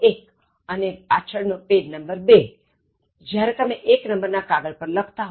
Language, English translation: Gujarati, Two is the back side, when you are writing on page one